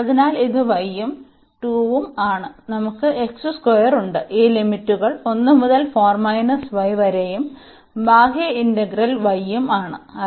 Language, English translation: Malayalam, So, y sorry this is y and by 2 and we have x square and these limits from 1 to 4 minus y and the outer integral is y